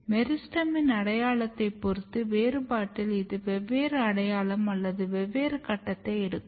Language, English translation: Tamil, And in the differentiation depending on the identity of the meristem it takes different identity or different phase